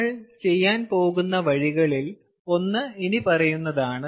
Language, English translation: Malayalam, so one of the ways that we are going to do is the following